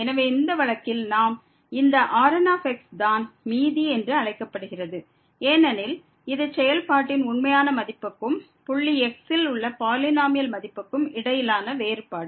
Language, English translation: Tamil, And in this case now the is called the remainder, because this is the difference between the actual value of the function minus the polynomial value at the point